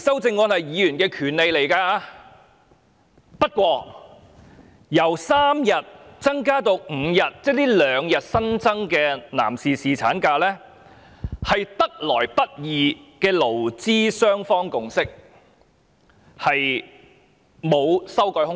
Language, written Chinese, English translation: Cantonese, 不過，局長說由3天增至5天，這兩天新增的男士侍產假，是得來不易的勞資雙方共識，並無修改空間。, increasing from three days to five days is a hard - earned consensus between employers and employees and there is no room for further revision